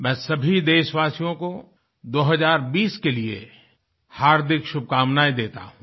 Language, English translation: Hindi, I extend my heartiest greetings to all countrymen on the arrival of year 2020